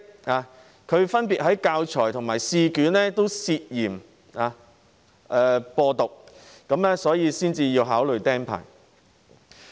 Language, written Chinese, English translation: Cantonese, 他分別在教材及試卷上涉嫌"播獨"，所以才會被考慮"釘牌"。, He was allegedly involved in championing independence in teaching materials and examination papers and thus the cancellation of his teacher registration is being considered